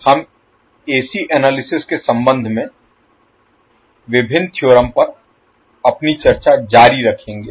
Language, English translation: Hindi, So we will continue our discussion on various theorems with respect to AC analysis